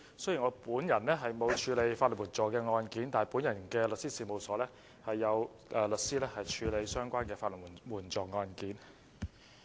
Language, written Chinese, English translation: Cantonese, 雖然我本人沒有處理過法律援助案件，但在我的律師事務所中，有律師處理法援案件。, Although I have not handled legal aid cases before a number of solicitors working in my law firm take up legal aid work